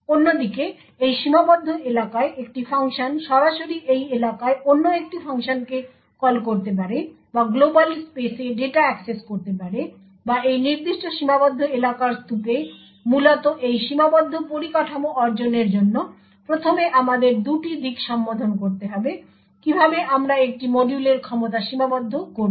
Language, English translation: Bengali, On the other hand functions one function in this confined area could directly call another function in this area or access data in the global space or heap in this particular confined area essentially in order to achieve this confined infrastructure we would require to address two aspects first how would we restrict a modules capabilities